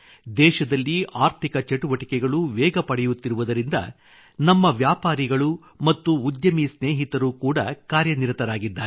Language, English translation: Kannada, The way economic activities are intensifying in the country, the activities of our business and entrepreneur friends are also increasing